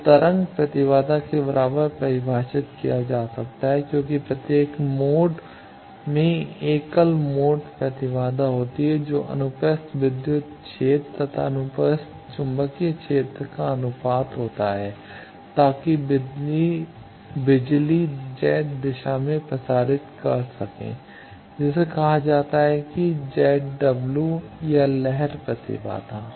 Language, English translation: Hindi, So, defined can be made equal to the wave impedance because every mode has a modal impedance which is the ratio of the transverse electric field to transverse magnetic field, so that the power can propagate to Z direction that is called Z dome w or wave impedance